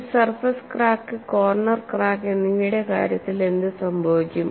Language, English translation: Malayalam, What happens in the case of a surface and corner cracks